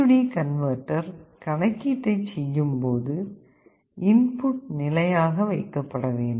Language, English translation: Tamil, I expect that when A/D converter is doing the calculation the input should be held at a stable value